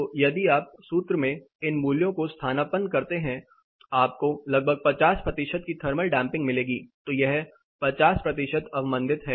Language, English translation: Hindi, If you substitute you will get a thermal damping of about 50 percentages, so it is 50 percent damped